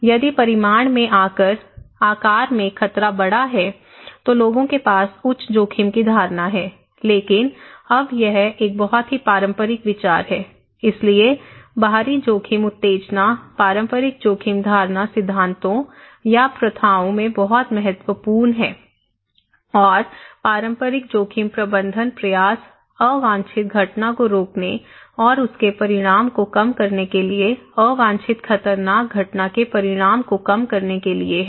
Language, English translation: Hindi, If the hazard is bigger in size in magnitude, then people have greater, higher risk perception but itís a very conventional idea now, so external risk stimulus is so important in conventional risk perception theories or practices, okay and risk management effort; conventional risk management effort is therefore to prevent the unwanted event and to ameliorate its consequence, to reduce the consequence of an unwanted hazardous event, okay